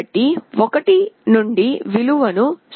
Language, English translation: Telugu, So, the value from 1 has been reduced to 0